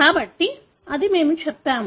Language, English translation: Telugu, So, that is what we have said